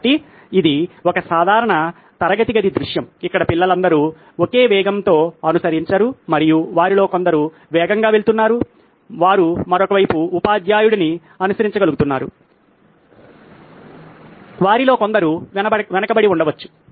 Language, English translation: Telugu, So this is a typical classroom scenario where all children probably don’t follow at the same pace and some of them are going fast, they are able to follow the teacher on the other hand maybe there are some of them are lagging behind